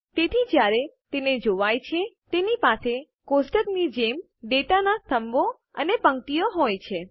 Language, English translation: Gujarati, So, when viewed, it has columns and rows of data just like a table